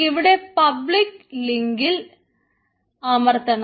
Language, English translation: Malayalam, so just click the public link